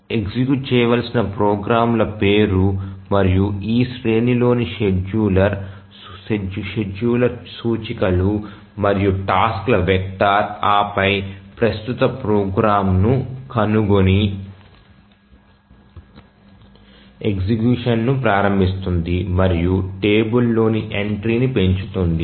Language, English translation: Telugu, So, just name of the programs executables that to be executed and the scheduler just indexes in this array of the vector of tasks and then finds out the current one, initiates execution and increments the entry to the table